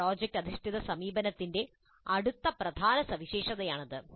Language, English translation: Malayalam, This is the next key feature of project based approach